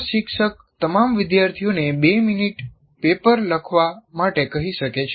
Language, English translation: Gujarati, The instructor can ask all the students to write for two minutes a paper